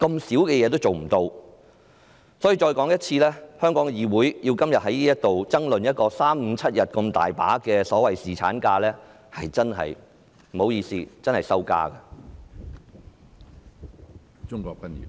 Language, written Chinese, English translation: Cantonese, 所以，我再多說一遍，香港的議會今天在這裏爭論3、5、7天這麼細微的所謂侍產假，真的不好意思，這是一種羞辱。, Therefore I feel sorry to reiterate that it is shameful for Hong Kongs legislature to argue here today about the so - called paternity leave in such trivial details as three five or seven days